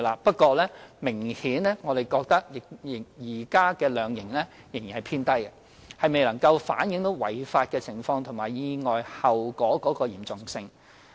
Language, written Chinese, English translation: Cantonese, 不過，我們認為現時的量刑仍然偏低，顯然未能反映違法情況和意外後果的嚴重性。, Having said that we consider that the current penalties are still too low to reflect the seriousness of the offences and the consequences of the accidents